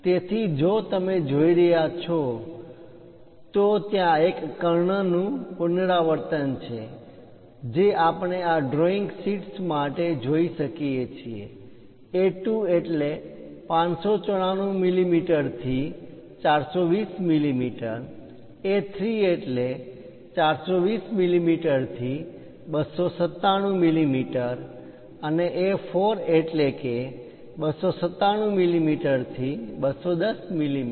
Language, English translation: Gujarati, So, if you are seeing, there is a diagonal repetition we can see for this drawing sheets; A2 594 to 420, A3 420 to 297, and A4 297 to 210